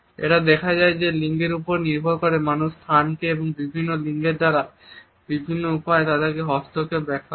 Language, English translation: Bengali, It is seen that depending on the genders people interpret the space and its intervention by people belonging to different genders in different manners